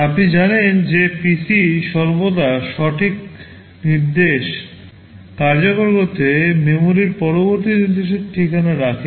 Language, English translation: Bengali, As you know PC always holds the address of the next instruction in memory to be executed right